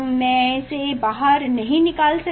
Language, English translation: Hindi, I cannot take an out this